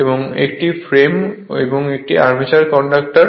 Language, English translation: Bengali, And this is your frame and this is your armature conductors right